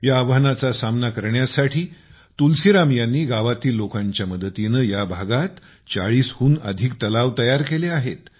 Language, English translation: Marathi, To overcome this challenge, Tulsiram ji has built more than 40 ponds in the area, taking the people of the village along with him